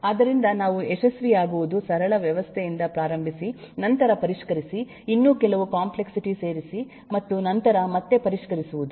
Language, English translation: Kannada, so what we what succeeds is starting with a simple system and then refine, add some more complexity and then refine again